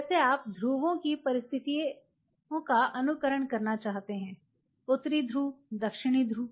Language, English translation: Hindi, Something like you want to simulate conditions of poles soft North Pole South Pole